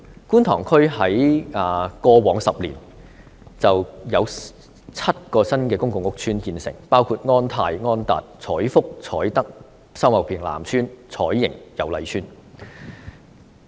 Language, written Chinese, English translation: Cantonese, 觀塘區過去10年有7個公共屋邨建成，包括安泰邨、安達邨、彩福邨、彩德邨、秀茂坪南邨、彩盈邨和油麗邨。, Over the past decade seven public housing estates were built in Kwun Tong district including On Tai Estate On Tat Estate Choi Fook Estate Choi Tak Estate Sau Mau Ping South Estate Choi Ying Estate and Yau Lai Estate